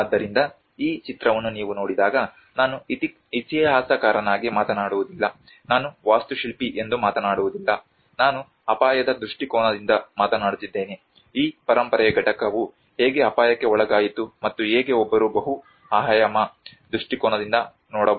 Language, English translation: Kannada, \ \ \ So, when you see at this image, I am not talking about as an historian, I am not talking about as an architect, I am talking from a risk perspective, how this heritage component subjected to risk and how one can look at from a multidisciplinary perspective